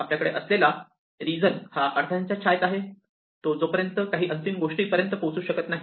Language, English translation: Marathi, We have this region which is in the shadow of these obstacles which can never reach the final thing